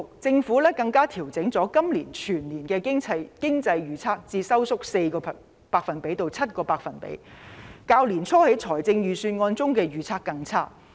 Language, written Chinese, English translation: Cantonese, 政府更把今年全年經濟預測調整為收縮 4% 至 7%， 較年初預算案中的預測更差。, Moreover the Government has revised the GDP growth forecast for 2020 as a whole to - 4 % to - 7 % which is worse than the forecast made in the Budget at the beginning of the year